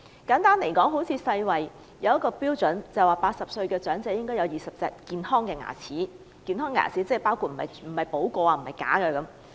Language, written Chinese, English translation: Cantonese, 根據世界衞生組織的標準 ，80 歲的長者應該有20隻健康的牙齒，不包括補過的牙和假牙。, According to the standard devised by the World Health Organization WHO people aged 80 should have at least 20 healthy teeth excluding filled teeth and dentures